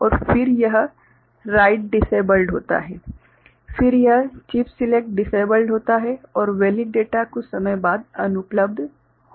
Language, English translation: Hindi, And then this write is disabled then this chip select is disabled and valid data becomes unavailable after some time